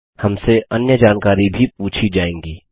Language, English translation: Hindi, We will be asked for other details too